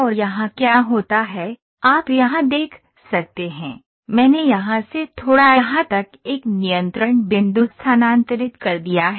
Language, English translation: Hindi, And here what happens is, you can see here, I have just moved a control point from here to slightly here